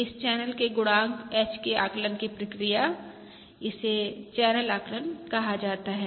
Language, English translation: Hindi, The process of estimating this channel coefficient H: this is termed as channel, this is termed as channel estimation